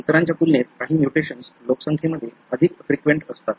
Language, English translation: Marathi, Some of the mutations are more frequent in the population as compared to the other